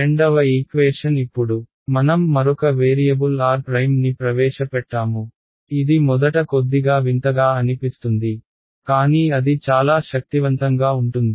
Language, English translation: Telugu, The second equation now I have introduced one more variable r prime ok, which will seem little strange at first, but will see it will make life very powerful